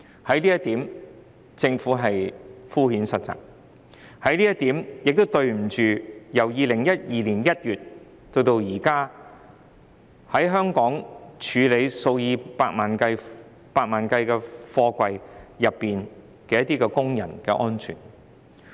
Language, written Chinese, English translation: Cantonese, 政府在這方面敷衍塞責，亦對不起由2012年1月至今，在香港處理數以百萬計貨櫃的工人。, The Government has worked half - heartedly in this respect . It has let down the workers who have handled millions of containers in Hong Kong since January 2012